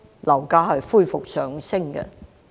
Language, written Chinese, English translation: Cantonese, 樓價恢復上升。, Property prices rose again